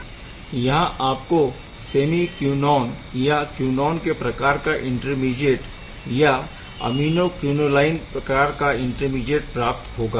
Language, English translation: Hindi, You can also get this is semiquinone type of or quinone type of intermediate; aminoquinoline type of intermediate